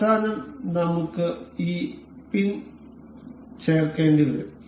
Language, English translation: Malayalam, And in the end we, can we have to insert this pin